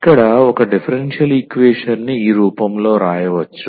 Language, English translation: Telugu, So, here if a differential equation can be written in this form